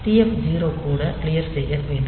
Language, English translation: Tamil, So, TF 0 will be also be cleared